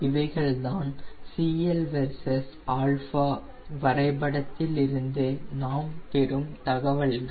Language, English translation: Tamil, these are the information which we get from cl versus alpha graph